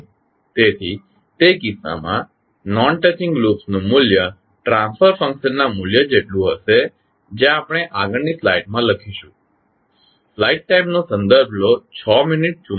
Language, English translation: Gujarati, So, in that case the value of non touching loops will be equal to the value of the transfer functions that is let us write in the next slide